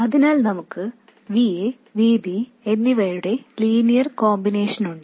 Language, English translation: Malayalam, So we have a linear combination of VA and VB